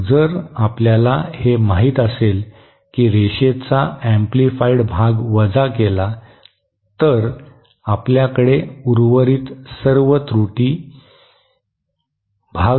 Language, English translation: Marathi, Then if that you know the correctly the linearly amplified part is subtracted, then all we will have remaining is the error part